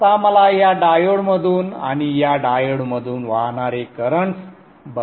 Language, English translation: Marathi, Now I would like to see the currents that are flowing through this diode and this diode